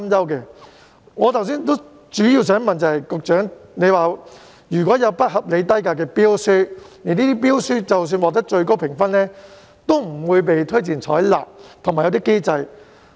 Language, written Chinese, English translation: Cantonese, 就我剛才的提問，局長表示如有不合理低價的標書，這些標書即使獲得最高評分，也不會被推薦採納，而且訂有機制進行監管。, Regarding the questions I raised just now the Secretary responded that tenders with unreasonably low prices would not be recommended for acceptance even if they obtained the highest overall scores and a mechanism was in place to monitor the situations in tender evaluation